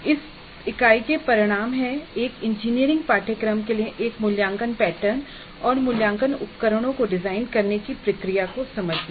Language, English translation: Hindi, The outcomes for this unit are understand the process of designing an assessment pattern and assessment instruments for an engineering course